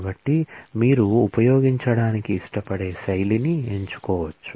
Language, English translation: Telugu, So, you can choose the style that you prefer to use